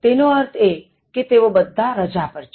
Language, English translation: Gujarati, It refers to all of them are on vacation